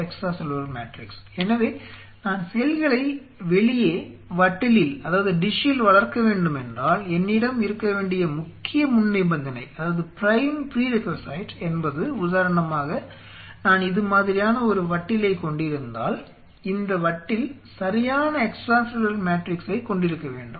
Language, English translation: Tamil, I have tried to grow the cells outside on a dish, then it is the prime prerequisite is if I have a dish like this the dish should have the right set of extra cellular matrix